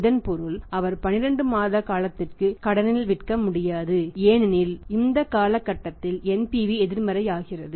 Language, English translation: Tamil, It means he cannot sell for a period of 12 months on credit because at this period NPV becomes negative